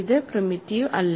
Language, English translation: Malayalam, So, this is not primitive